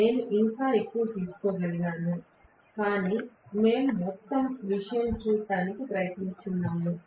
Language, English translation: Telugu, I could have taken more, but we are just trying to look at the whole thing